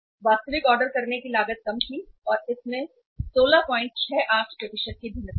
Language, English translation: Hindi, Actual ordering cost was low and there is a negative variation by 16